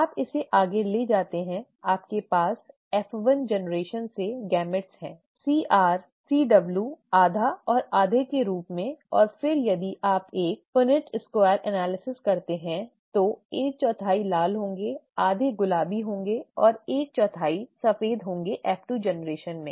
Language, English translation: Hindi, You take this further, you have the gametes from the F1 generation as C capital R, C capital W, half and half and then if you do a Punnett square analysis, one fourth would be red, half would be pink and one fourth would be white in the F2 generation